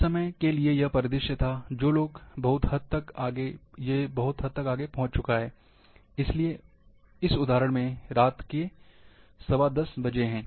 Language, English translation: Hindi, At particular time, this was the scenario, that reach to the very high, at this example, at 10:15 pm